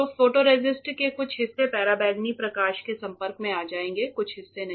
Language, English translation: Hindi, So, some parts of the photoresist will get exposed to ultraviolet light some parts do not